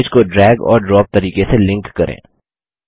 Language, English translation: Hindi, Now let us link the image using the drag and drop method